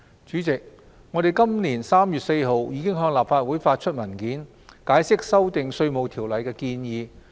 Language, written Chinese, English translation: Cantonese, 主席，我們在今年3月4日已向立法會發出文件，解釋修訂《稅務條例》的建議。, President we provided this Council on 4 March with a paper explaining the proposed legislative amendments to the Inland Revenue Ordinance